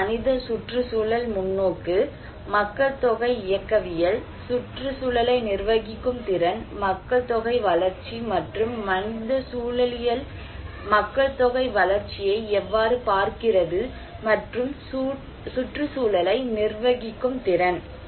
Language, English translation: Tamil, One is human ecological perspective, population dynamics, capacity to manage the environment, population growth, and how human ecology is looking at population growth and the capacity to manage the environment